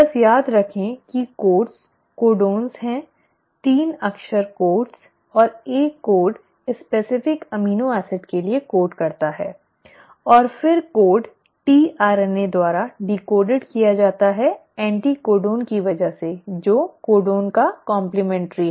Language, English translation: Hindi, Just remember that the codes are the codons, the 3 letter codes and each code codes for a specific amino acid, and then the code is decoded by the tRNA because of the anticodon which is complementary to the codon